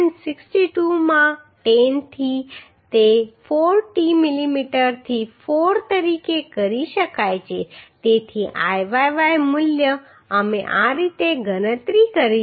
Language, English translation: Gujarati, 62 into 10 to that 4 t millimetre to 4 so Iyy value we have calculated like this